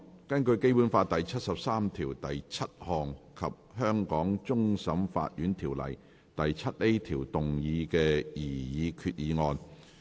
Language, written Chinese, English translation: Cantonese, 根據《基本法》第七十三條第七項及《香港終審法院條例》第 7A 條動議的擬議決議案。, Proposed resolution under Article 737 of the Basic Law and section 7A of the Hong Kong Court of Final Appeal Ordinance